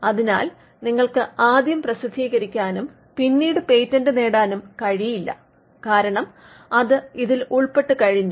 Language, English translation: Malayalam, So, you cannot publish first and then patent because, we are already covered this